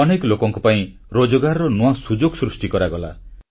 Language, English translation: Odia, New employment opportunities were created for a number of people